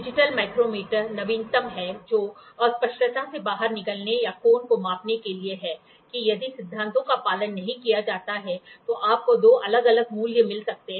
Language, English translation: Hindi, Digital micrometer is the latest which is there in order to get out of the ambiguity or measuring angle that if the principles are not followed, so, you might get two different values